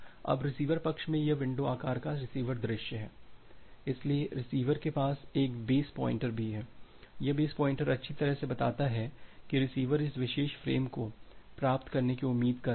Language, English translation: Hindi, Now in the receiver side the this is the receiver view of the window size, so the receiver it also has a base pointer, this base pointer points that well the receiver is expecting to receive this particular frame